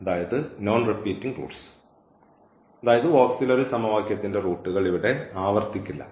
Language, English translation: Malayalam, So, that is the solution the roots of this auxiliary equation as 2 and 3